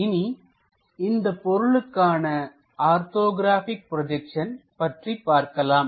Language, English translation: Tamil, Let us look at orthographic projections of this particular object